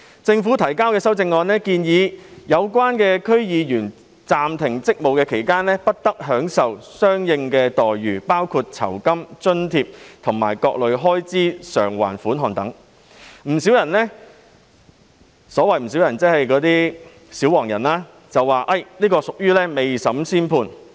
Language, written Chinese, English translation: Cantonese, 政府提交的修正案建議，區議員在暫停職務期間不得享受相應待遇，包括酬金、津貼及各類開支償還款額等，不少人——即那些"小黃人"——批評這是未審先判。, The Committee stage amendment CSA to be moved by the Government proposes that DC members should not enjoy corresponding entitlements which will include remuneration allowances and various kinds of reimbursement for expenses during the suspension of duties . Quite a number of people―that is those little yellow people―have criticized this amendment for making a judgment before trial